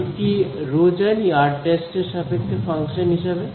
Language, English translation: Bengali, Do I know rho as a function of r prime